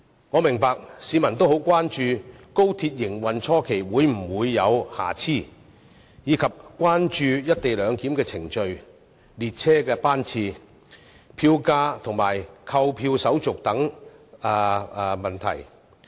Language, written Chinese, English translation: Cantonese, 我明白市民很關注高鐵在營運初期會否有瑕疵，亦關注"一地兩檢"的程序、列車班次、票價、購票手續等問題。, I appreciate public concerns about whether there will be hiccups for XRL at the initial stage of operation and such issues as the co - location procedures train schedules fares and ticketing